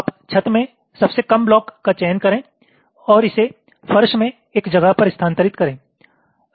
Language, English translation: Hindi, so the idea is as follows: you select the lowest block in the ceiling and move it to a place in the floor